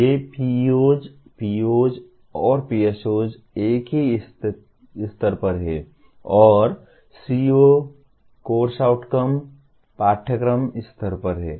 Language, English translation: Hindi, These are PEOs, POs, and PSOs are at the same level and CO, Course Outcomes at the course level